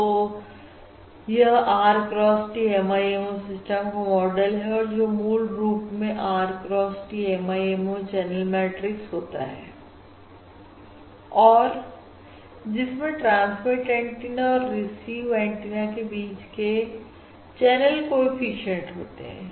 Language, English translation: Hindi, This is the model of the R cross T MIMO system which is captured basically by this R cross T MIMO channel matrix will consist of the channel coefficients between each pair of transmit and receive antenna, correct